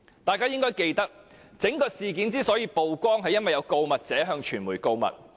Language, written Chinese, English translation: Cantonese, 大家應該記得，整件事之所以曝光，是因為有告密者向傳媒告密。, Members should remember that the incident came to light because the whistle - blower informed the media about it